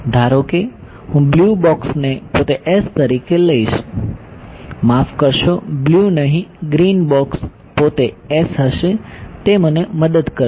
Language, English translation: Gujarati, Supposing I take the blue the blue box itself to be S; sorry not blue green box itself to be S will it help me